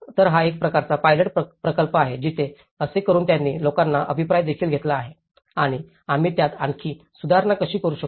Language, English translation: Marathi, So, itís a kind of pilot project where by doing so they have also taken the feedback of the people and how we can improve it further